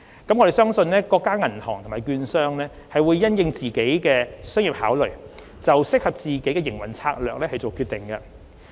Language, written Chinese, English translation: Cantonese, 我們相信各家銀行或券商會因應自身商業考量就適合自己的營運策略作出決定。, We believe that every bank or brokerage firm will decide on the business strategy that best fits its respective circumstances having regard to its own commercial considerations